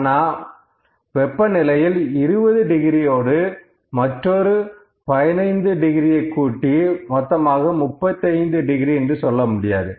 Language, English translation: Tamil, Now, 20 degrees of temperature plus 15 degrees of temperature is not equal to 35 degree centigrades, ok